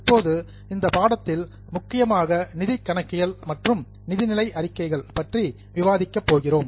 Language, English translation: Tamil, Now the course is mainly going to discuss about financial accounting and financial statements